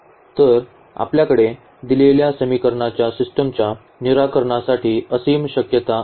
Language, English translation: Marathi, So, here we have infinitely many possibilities for the solution of the given system of equations